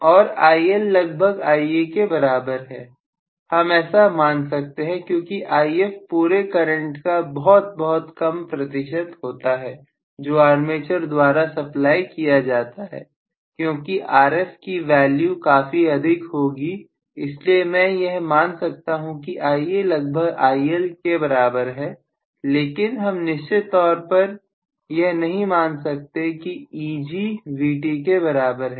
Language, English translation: Hindi, And IL is approximately equal to Ia we can still assume because If is very very small fraction of the overall current that is been supplied by the armature, because of the fact that RF is going to be quite large, so I can still assume at least Ia is approximately equal to IL but I cannot definitely assume Eg equal to Vt, so that is the reason why just wanted to make this small correction